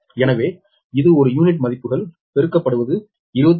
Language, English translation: Tamil, so this per unit values multiplied is twenty five point four